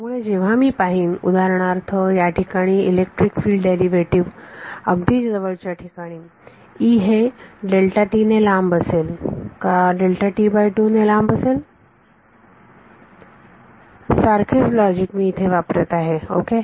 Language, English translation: Marathi, So, when I look at for example, the electric field derivative over here the adjacent point so E, should be delta t apart or delta t by 2 apart delta t apart same logic I am applying over here ok